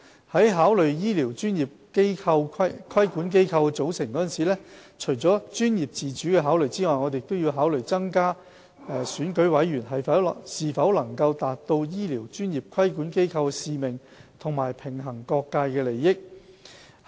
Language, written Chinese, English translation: Cantonese, 在考慮醫療專業規管機構的組成時，除了專業自主的考慮外，我們亦要考慮增加選舉委員是否能達到醫療專業規管機構的使命及平衡各界利益之舉。, In addition to professional autonomy we need to consider whether increasing the number of elected members can help the regulatory body achieve its mission and balance the interests of different stakeholders